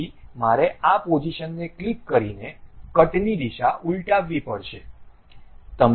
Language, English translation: Gujarati, So, I have to reverse the direction of cut by clicking this position